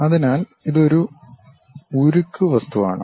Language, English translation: Malayalam, So, it is a steel object